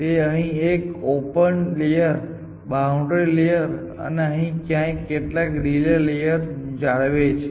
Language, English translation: Gujarati, It maintains one open layer, one boundary layer, sorry one boundary layer here and some relay layer in the peak